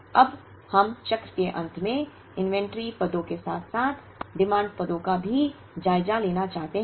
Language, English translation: Hindi, Now, at the end of the cycle we will now, want to take stock of the inventory positions as well as the demand positions